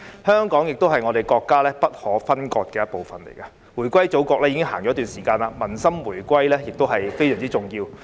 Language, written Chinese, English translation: Cantonese, 香港是國家不可分割的一部分，回歸祖國已經一段時間，民心回歸也非常重要。, Since Hong Kong being an integral part of the country has returned to the Motherland for a period of time it is very significant to win the hearts of people along with the reunification